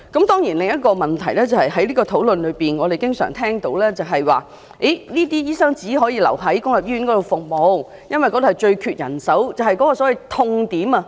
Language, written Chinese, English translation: Cantonese, 當然在這個討論中另一個問題是，我們經常聽到，這些醫生只能留在公立醫院服務，因為公立醫院最缺人手，即所謂的"痛點"。, Another question arising from the discussion is that we have always heard that these doctors can only stay in the public sector because public hospitals face the most acute shortage of manpower which is also called the pain point